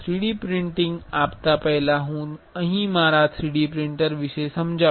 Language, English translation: Gujarati, Before giving 3D printing, I will explain about my 3D printer here